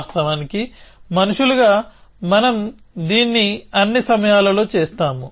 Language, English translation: Telugu, Of course, we as human beings do it all the time